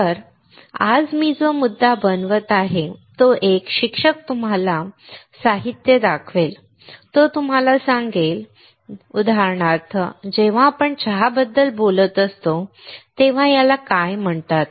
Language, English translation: Marathi, So, the point that I am making today is a teacher will show you the ingredients, he will tell you, like for example, when we are talking about tea, what is this called